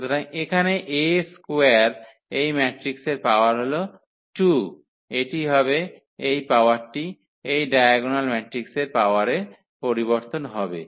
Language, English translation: Bengali, So, here the A square the power of this matrix is 2 power of this matrix; it is coming to be that this power is exactly translated to the power of this diagonal matrix